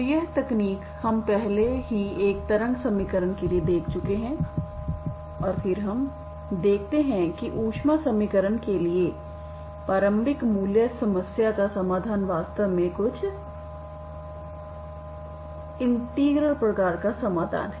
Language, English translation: Hindi, So this technique we have already seen for a wave equation and then we see that the solution of initial value problem for the heat equation is actually some integral type of solution